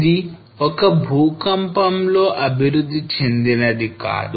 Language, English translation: Telugu, This did not develop in one single earthquake